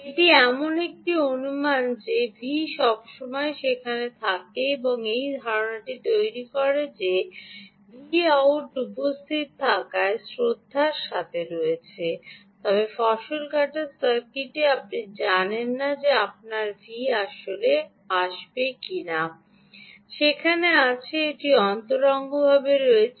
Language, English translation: Bengali, this made an assumption that v out is, with respect to v in being present, but in harvesting circuit, you dont even know if your v in will actually be there